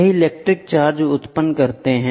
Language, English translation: Hindi, It generate electric charge